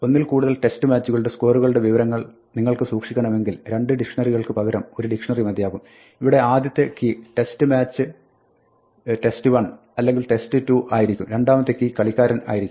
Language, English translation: Malayalam, If you want to keep track of scores across multiple test matches, instead of having two dictionaries is we can have one dictionary where the first key is the test match test 1 or test 2, and the second key is a player